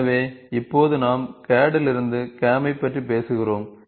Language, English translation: Tamil, So now what are we talking about CAD to CAM, link we are talking about